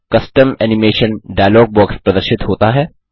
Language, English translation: Hindi, The Custom Animation dialog box appears